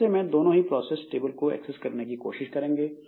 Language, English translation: Hindi, So, they will try to access the process table